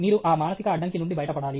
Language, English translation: Telugu, You have to get rid of that mental block